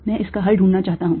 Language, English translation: Hindi, so i found the solution